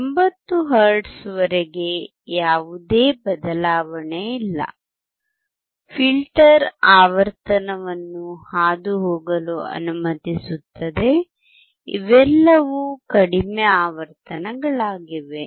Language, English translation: Kannada, Up to 80 hertz there is no change; the filter is allowing the frequency to pass through; all these are low frequencies